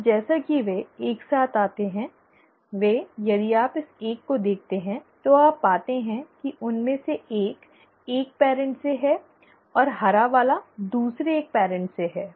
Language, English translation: Hindi, And as they come together, they, so here if you look at this one, you find that one of them is from one parent and the green one is from the other parent